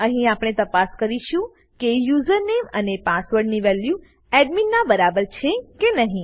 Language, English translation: Gujarati, Here we check if username and password equals admin